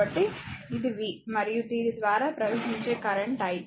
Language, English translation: Telugu, So, it is v and current flowing through this is i, right